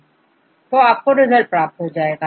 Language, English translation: Hindi, So, you will a get the result